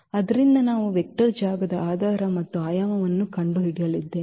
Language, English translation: Kannada, So, we have to we are going to find the basis and the dimension of the vector space